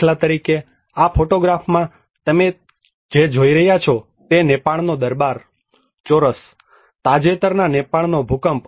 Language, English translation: Gujarati, For instance, in this photograph what you are seeing is the Durbar square in the Nepal, the recent Nepal earthquake